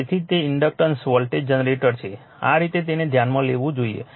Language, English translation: Gujarati, So, that is why it is inductance voltage generator this way you have to you consider it right